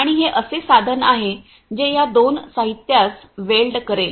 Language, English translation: Marathi, And this is the tool which is going to weld these two materials